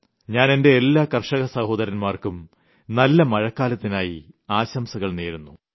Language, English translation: Malayalam, I extend my greetings to all our farmer brethren hoping for a bountiful rainfall